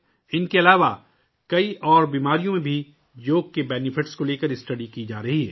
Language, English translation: Urdu, Apart from these, studies are being done regarding the benefits of yoga in many other diseases as well